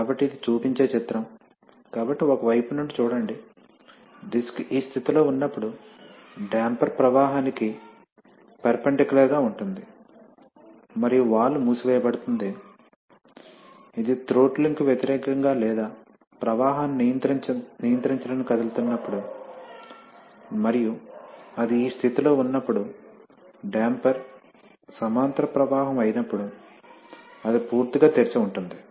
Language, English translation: Telugu, So, this is a picture which shows that, so look from a side, when the disc is in this position then the damper or then the damper is perpendicular to flow and the valve is closed, when it is moving against throttling or controlling the flow and when it is in this position then, when damper is parallel flow then it is completely open